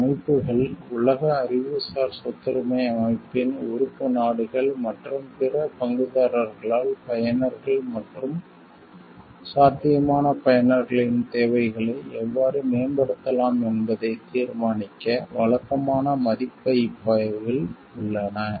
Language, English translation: Tamil, These systems are under regular review by world intellectual property organization member states, and other stakeholders to determine how they can be improved to serve the needs of the users and potential users